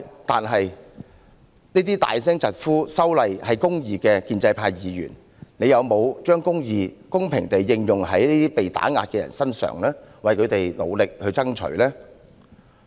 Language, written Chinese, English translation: Cantonese, 但是，那些高聲疾呼"修例是公義"的建制派議員有否把"公義"公平地應用在這些被打壓的人身上，為他們努力爭取呢？, Have those pro - establishment Members who shout loudly that legislative amendment is justice upheld justice fairly for these people who have been suppressed and fought for them?